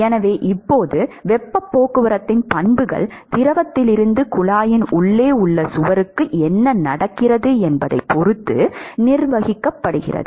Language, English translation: Tamil, So now, the properties the heat transport from the fluid to the wall inside the tube would be governed by what is happening inside